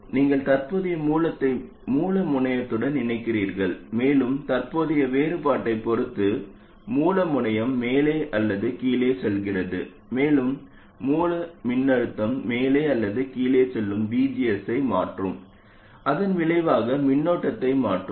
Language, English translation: Tamil, That is, you connect the current source to the source terminal and depending on the current difference the source terminal goes up or down and that action the source voltage going up or down will change the VGS and consequently change the current